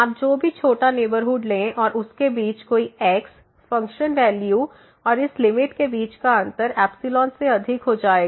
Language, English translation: Hindi, Whatever small neighborhood you take and any between this, the difference between the function value and this limit will exceed than this epsilon here